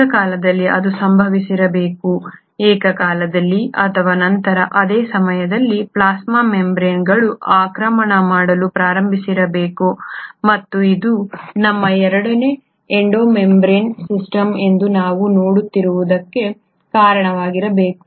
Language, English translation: Kannada, Simultaneously theere must have happened, simultaneously or even later around the same time the plasma membranes must have started invaginating, and this must have led to what we see today as our Endo membrane system